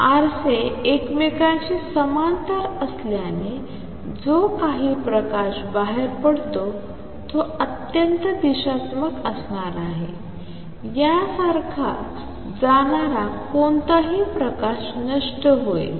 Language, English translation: Marathi, Since the mirrors are parallel to each other whatever light comes out is going to be highly directional, any light that goes like this is going to be lost